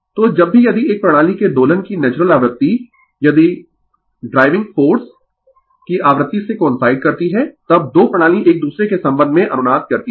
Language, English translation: Hindi, So, whenever the nat if the natural frequency of the oscillation of a system right if it coincide with the frequency of the driving force right then the 2 system resonance with respect to each other